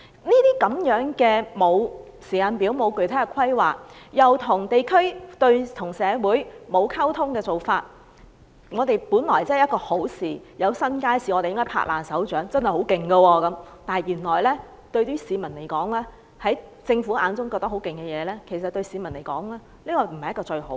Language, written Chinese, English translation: Cantonese, 這種沒有時間表、沒有具體規劃又跟地區及社會缺乏溝通的做法，令興建新街市，這本是我們該拍掌歡迎的一件好事——變成政府滿以為很厲害，但對市民來說卻不是最好的事。, There is simply no timetable or concrete planning . Nor does it have sufficient communication with the districts and society . Handling the matter in such a way FEHD has turned the building of new markets―something which should have been welcomed and applauded―into what the Government considers brilliant but the public think otherwise